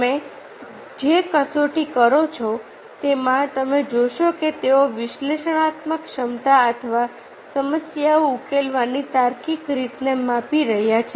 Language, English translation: Gujarati, all the test, you find that they are measuring the analytical ability for the logical way of solving the problems